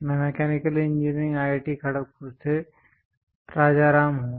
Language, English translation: Hindi, I am Rajaram from Mechanical Engineering IIT Kharagpur